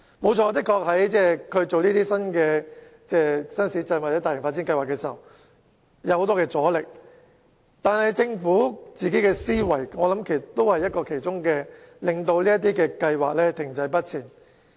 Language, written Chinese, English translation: Cantonese, 無可否認，政府在興建新市鎮或進行大型發展計劃時確實遇到很多阻力，但政府本身的思維也是導致這些計劃停滯不前的原因之一。, Undeniably the Government has encountered many resistances in the course of developing new towns or taking forward large - scale development projects but its way of thinking is also one of the factors causing the projects to remain stagnant